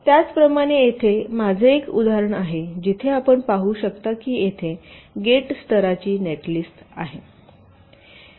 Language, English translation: Marathi, similarly, here i have an example where you can see that there is a gate level netlist here